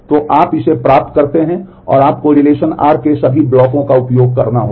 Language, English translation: Hindi, So, you get this and you have to access all the blocks of relation r